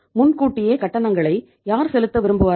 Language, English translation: Tamil, Who would like to make the payment in advance, prepaid expenses